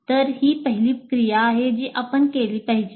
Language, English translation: Marathi, So this is the first activity that we should do